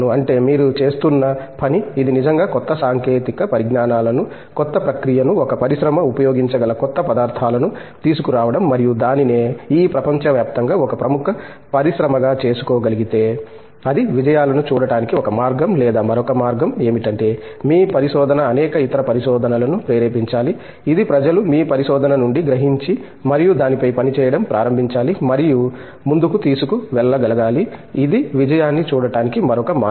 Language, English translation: Telugu, That, the work that you have been doing, has it being really bringing newer technologies, newer process, newer materials which an industry is able to use and make itself as a leading industry in the Global Arena is one way of looking at success or the other way is your research has kind of nucleated a number of other researches okay, which people have taken up a queue from your research and started working on that and taking it forward, this is another way of looking at it